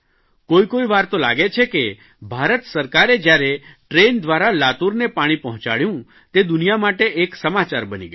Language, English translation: Gujarati, When the government used railways to transport water to Latur, it became news for the world